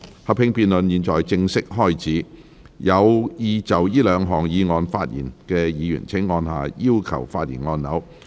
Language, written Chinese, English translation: Cantonese, 合併辯論現在開始，有意就這兩項議案發言的議員請按下"要求發言"按鈕。, The joint debate now begins . Members who wish to speak on the two motions will please press the Request to speak button